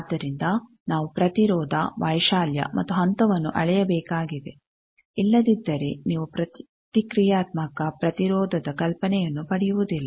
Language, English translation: Kannada, So, we need to measure the impedance amplitude as well as phase, otherwise you would not get the idea of the reactive impedance